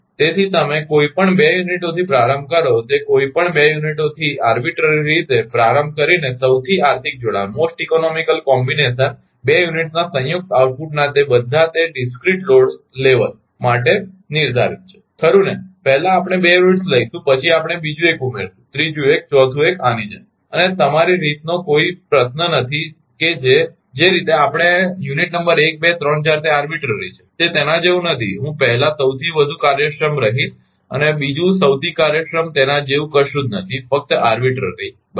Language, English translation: Gujarati, So, starting arbitrarily with any 2 units you start with any 2 units, the most economical combination is determined for all that discrete load level of the combined output of the 2 units right first we will take 2 units, then we will add another one, third one, fourth one like this and there is no question that is your the way we will unit number 1 2 3 4 it is arbitrary, it is not like that I will ah first most efficient, then second most efficient nothing like that just arbitrary right